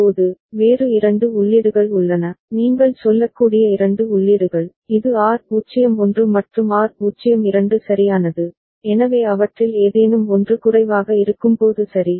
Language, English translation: Tamil, Now, comes there are two other inputs, two sets of other inputs you can say, this is R01 and R02 right, so when any one of them is low ok